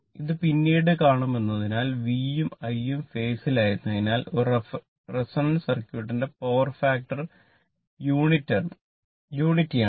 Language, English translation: Malayalam, Since later will see this, since V and I are in phase the power factor of a resonant circuit is unity right